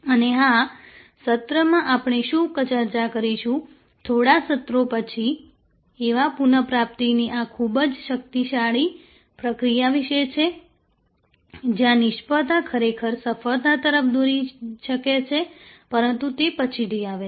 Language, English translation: Gujarati, And of course, what we will discuss in a session, a couple of sessions later is about this very powerful process of service recovery, where failure can actually lead to success, but that comes later